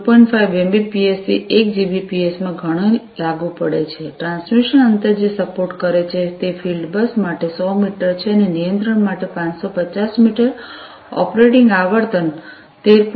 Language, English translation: Gujarati, 5 Mbps to 1Gbps, transmission distance that is supported is 100 meters for field bus and for control 550 meters, operating frequency is 13